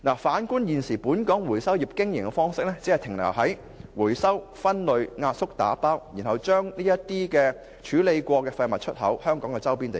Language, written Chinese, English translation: Cantonese, 反觀現時本港回收業經營方式，其實仍只停留於回收、分類、壓縮和打包，然後將已處理的廢物出口至香港周邊地區。, In fact the operation of the local recovery trade only involves recycling sorting compacting and baling followed by export of the processed wastes to places near Hong Kong